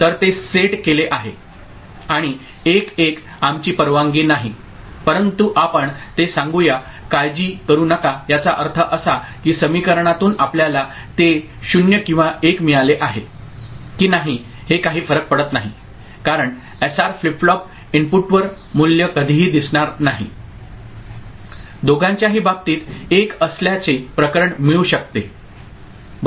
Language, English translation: Marathi, And 1 1 since it is not allowed we put it, put a don’t care here that means, from the equation whether we get it 0 or 1 it does not matter because, the value will never appear at the SR flip flop input a case of both being 1 right